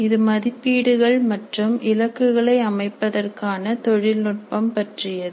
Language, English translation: Tamil, This is about the technology for assessment and setting the targets